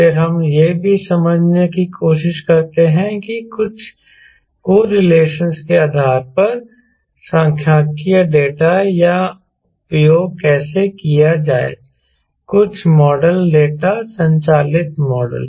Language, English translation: Hindi, then we also try to understand how to use statistical data based on some correlations, some model data, driven model ah